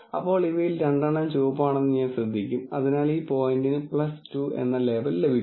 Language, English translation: Malayalam, Then I will notice that two out of these are red, so this point will get a label plus 2